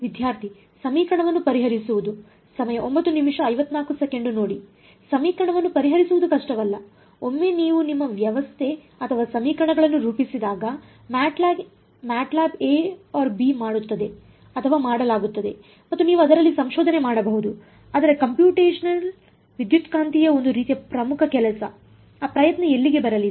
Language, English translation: Kannada, This no solving the equation is not difficult; once you form your system or equations MATLAB does a slash b or done and you can do research in that, but as sort of core work in computational electromagnetic, where is that effort going to come in